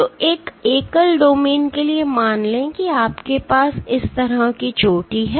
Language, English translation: Hindi, So, for a single domain let say you have a peak like this